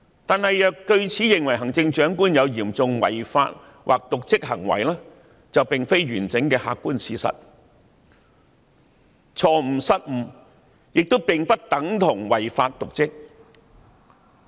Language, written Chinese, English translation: Cantonese, 然而，若據此認為行政長官有嚴重違法或瀆職行為，便並非完整的客觀事實，因為錯誤、失誤並不等同於違法、瀆職。, However it would not be entirely objective to say that the Chief Executive is guilty of serious breach of law or dereliction of duty . Mistakes and errors are not the same as breach of law or dereliction of duty